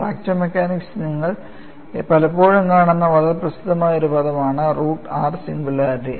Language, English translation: Malayalam, And root r singularity is a very famous terminology which you have come across very often in fracture mechanics